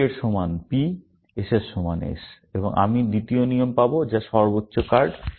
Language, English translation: Bengali, With all that P equal to P, and S equal to S, and I will get the second rule, which is highest card